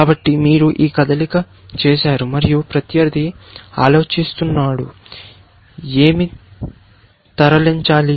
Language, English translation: Telugu, So, you have made a move, and opponent is thinking; what to move